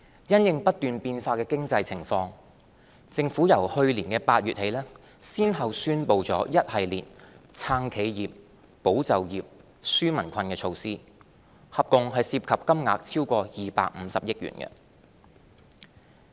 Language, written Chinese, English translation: Cantonese, 因應不斷變化的經濟情況，政府由去年8月起先後宣布一系列"撐企業、保就業、紓民困"的措施，合共涉及金額超過250億元。, In light of the evolving economic situation the Government has since August last year announced a series of measures to support enterprises safeguard jobs and relieve peoples burden with total financial implications exceeding 25 billion